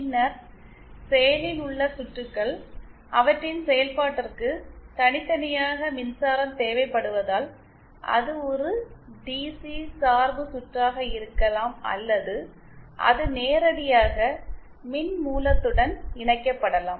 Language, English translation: Tamil, Then the active circuits are ones which for their operation separately need a power supply it can be a DC bias circuit or it can be directly device can be directly connected to power supply